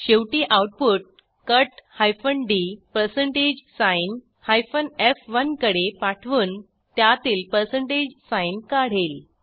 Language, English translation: Marathi, Eventually, the output is passed to cut d % f1 to strip out % sign